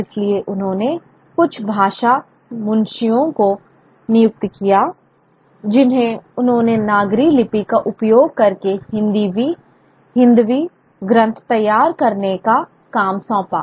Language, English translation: Hindi, So he employed certain Bhakha Munshis who were able to, who he assigned the task of preparing Hindavi texts using the Nagris script